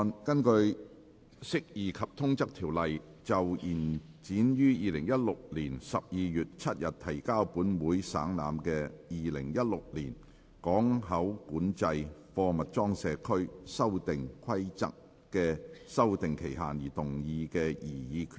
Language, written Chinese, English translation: Cantonese, 根據《釋義及通則條例》就延展於2016年12月7日提交本會省覽的《2016年港口管制規例》的修訂期限而動議的擬議決議案。, Proposed resolution under the Interpretation and General Clauses Ordinance to extend the period for amending the Port Control Amendment Regulation 2016 which was laid on the Table of this Council on 7 December 2016